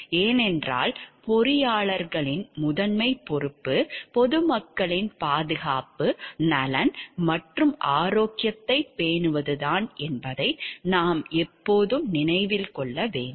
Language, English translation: Tamil, Because, we have always to remember that the primary responsibility of the engineers is to take care of the safety concern, the welfare and the health of the public at large